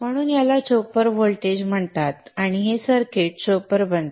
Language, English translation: Marathi, So it's called a chopper voltage and this circuit becomes a chopper